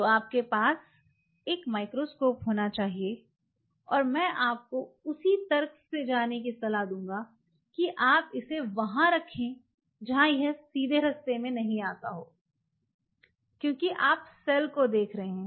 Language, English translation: Hindi, So, you have to have a microscope and I will recommend you going by the same logic where you want to put it prefer something which is not coming in the direct way, because you are viewing the cell